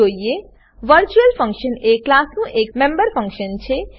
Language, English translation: Gujarati, Virtual function is the member function of a class